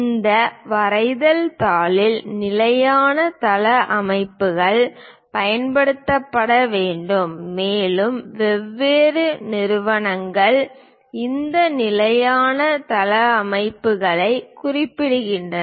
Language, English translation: Tamil, In this drawing sheet layout standard layouts has to be used and these standard layouts are basically specified by different organizations